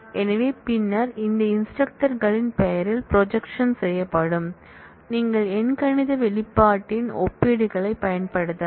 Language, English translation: Tamil, So, and then the projection will be done on the name of those instructors, you can apply comparisons of arithmetic expression